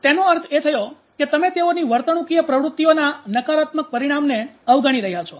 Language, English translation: Gujarati, So, that is how that means you are avoiding the negative outcome of their behavioral activations